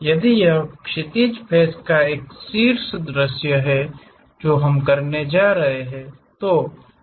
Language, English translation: Hindi, If it is a top view the horizontal face what we are going to do